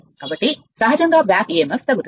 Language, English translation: Telugu, So, naturally your back Emf will decrease right